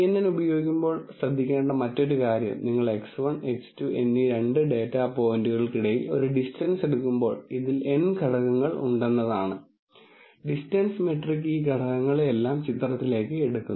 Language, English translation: Malayalam, The other thing to keep in mind when using kNN is that, when you do a distance between two data points X 1 and X 2 let us say, and let us say there are n components in this, the distance metric will take all of these components into picture